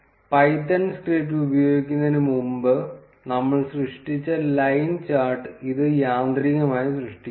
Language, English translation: Malayalam, And it automatically creates the line chart that we have created before using the python' script